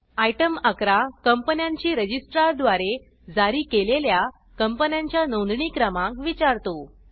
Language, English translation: Marathi, Item 11 asks for the registration of companies, issued by the Registrar of Companies